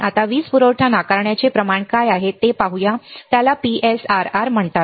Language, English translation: Marathi, Now, let us see what is power supply rejection ratio, it is called PSRR